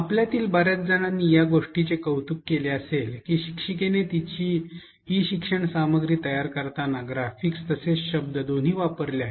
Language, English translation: Marathi, Many of you might have appreciated the fact that, the teacher used both words as well as graphics while creating her e learning content